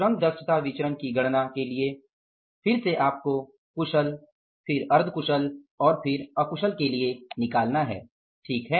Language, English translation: Hindi, For calculating the labor efficiency variance, again you have to go for the skilled, then for the semi skilled and then for the unskilled, right